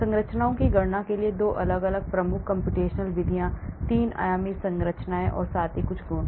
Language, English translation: Hindi, There are 2 different major computational methods for calculating structures, 3 dimensional structures as well as some properties